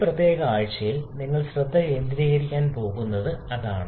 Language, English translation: Malayalam, And that is what you are going to focus in this particular week